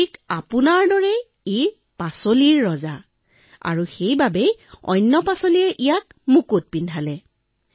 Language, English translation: Assamese, Lord, just like you this too is the king of vegetables and that is why the rest of the vegetables have adorned it with a crown